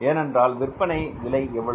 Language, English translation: Tamil, Cost of production is how much